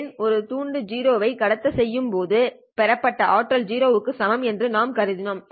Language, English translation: Tamil, Because we have assumed that the received power when a bit 0 is transmitted is equal to 0